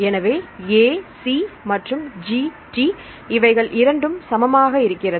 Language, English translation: Tamil, So, A G and C T right this will be same and the 7